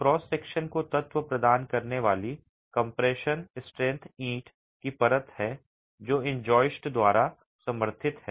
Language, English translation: Hindi, The compression strength providing element to the cross section is the brick layer that is supported by these joists